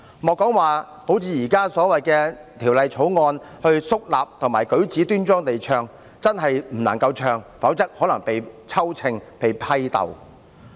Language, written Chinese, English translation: Cantonese, 不僅不能如《條例草案》所訂，肅立和舉止端莊地唱，簡單開口唱也不行，否則可能會被算帳，被批鬥。, People could only sing it in their heart . Not only were people not allowed to sing it decently while standing solemnly as required under the Bill but they were not even allowed to sing it aloud or else they would probably be settled accounts with and struggled against